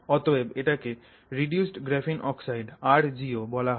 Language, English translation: Bengali, So, this is reduced graphene oxide